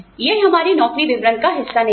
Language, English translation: Hindi, It is not part of our job description